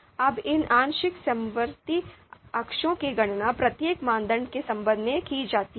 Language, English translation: Hindi, Now this these partial concordance degrees are calculated with respect to each criterion